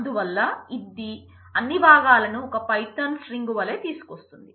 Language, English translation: Telugu, So, it will bring in as all the components as one as a python string